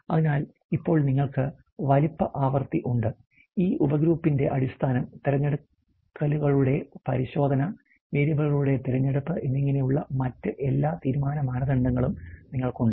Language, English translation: Malayalam, So, based on that now you have the size frequency, you have all the other decision criteria like the basis of this is sub grouping the check of selections the choice of variables